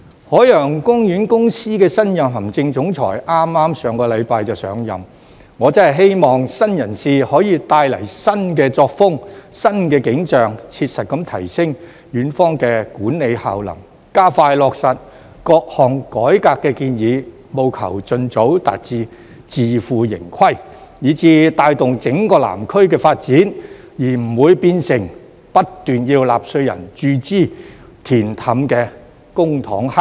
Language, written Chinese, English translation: Cantonese, 海洋公園公司的新任行政總裁剛在上星期上任，我真的希望新人事可以帶來新作風、新景象，切實地提升園方的管理效能，加快落實各項改革建議，務求盡早達至自負盈虧，以至帶動整個南區的發展，而不會變成不斷要納稅人注資、"填氹"的公帑黑洞。, As the new Chief Executive of the Ocean Park Corporation just took office last week I really hope that a new person can bring in a new style of work and a new vision pragmatically enhance the management efficiency of Ocean Park and expedite the implementation of various reform proposals so as to achieve financial sustainability as soon as possible and drive the development of the entire Southern District instead of becoming a black hole for public money constantly requiring taxpayers money to make up for the losses